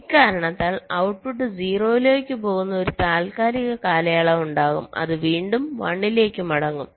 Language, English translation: Malayalam, so because of this, there will be a temporary period where the output will go to zero before again settling back to one